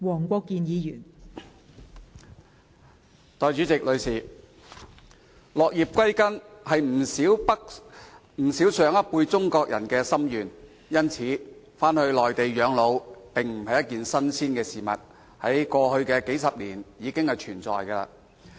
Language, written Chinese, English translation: Cantonese, 代理主席，落葉歸根是不少上一輩中國人的心願，因此，返回內地養老並非新事，而是過去數十年來一直存在的事情。, Deputy President many Chinese people of the older generations long for returning to their homelands in old age . Therefore there is nothing new about people returning to the Mainland to live their twilight years . Instead it is something which has existed over the past few decades